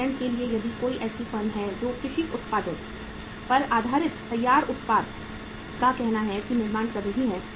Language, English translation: Hindi, For example if there is a uh any firm who is manufacturing the uh say say the finished product based upon the agriculture products